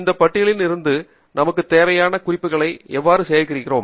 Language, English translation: Tamil, and how do we then collect the reference items that we need from this list